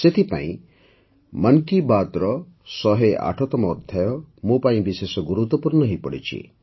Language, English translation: Odia, That's why the 108th episode of 'Mann Ki Baat' has become all the more special for me